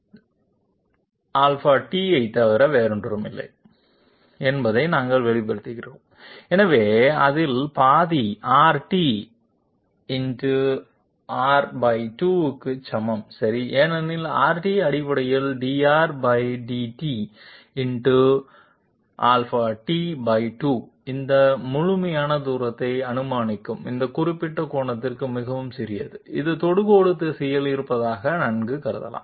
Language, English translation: Tamil, And we express this particular distance as nothing but R t Delta t therefore, half of it is equal to R t into Delta t by 2 okay because R t is basically dr /dt into Delta t will give us this complete distance assuming that this particular angle is so small that it can be well considered to be in the direction of the tangent